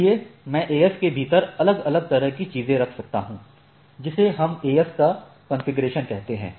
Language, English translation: Hindi, So, I can have different sub a sort of things within the AS right or what we say that is a configurations of AS is there right